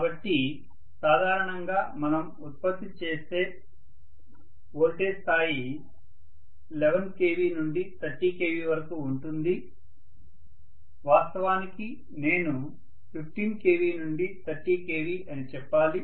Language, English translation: Telugu, So normally the generated voltage level if we look at is generally about 11 to 30 kilovolts, in fact I should say 15 to 30 kilo volts